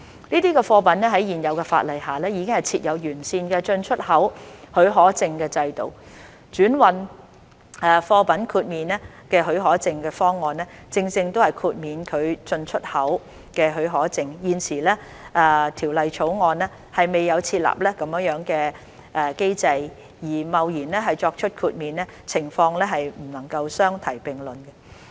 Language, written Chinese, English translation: Cantonese, 這些貨物在現有法例下已設有完善的進出口許可證的制度，轉運貨品豁免許可證的方案正正是豁免其進/出口許可證，而現時《條例草案》未有設立這樣的機制而貿然作出豁免，情況不能相提並論。, A well - established importexport licensing system has already been in place under the existing legislation for these goods and the transhipment cargo exemption scheme is precisely meant to exempt these goods from importexport licensing . Granting exemption hastily in the absence of such a system under the Bill will be a different situation